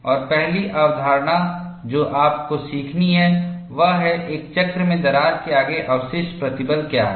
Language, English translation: Hindi, And, first concept that you have to learn is, what is the residual stress ahead of a crack, in a cycle